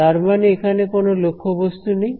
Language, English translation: Bengali, That means there is actually no object